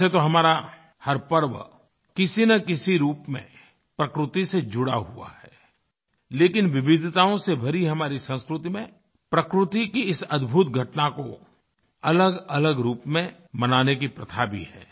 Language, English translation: Hindi, Though all of our festivals are associated with nature in one way or the other, but in our country blessed with the bounty of cultural diversity, there are different ways to celebrate this wonderful episode of nature in different forms